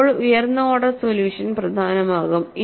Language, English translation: Malayalam, Then the higher order solution will become important